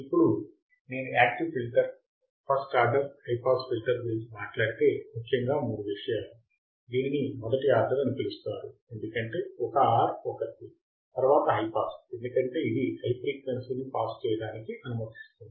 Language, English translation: Telugu, Now if I talk about active filter, first order high pass filter, 3 things are, it’s called first order because 1 R, 1 C, then high pass because it will allow the high frequency to pass